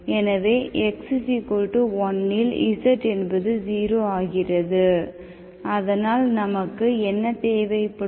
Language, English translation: Tamil, So at x equal to1, z is 0, okay